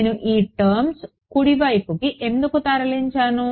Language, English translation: Telugu, Why did I move this term to the right hand side